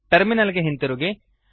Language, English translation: Kannada, Come back to a terminal